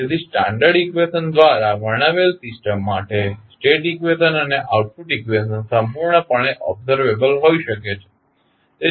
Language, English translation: Gujarati, So, for the system described by the standard equation, state equation and the output equation can be completely observable